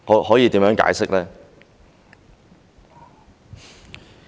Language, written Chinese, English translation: Cantonese, 可以怎麼解釋呢？, How can this be explained?